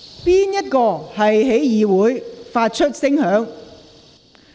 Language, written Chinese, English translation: Cantonese, 甚麼東西在會議廳內發出聲響？, What device is ringing in the Chamber?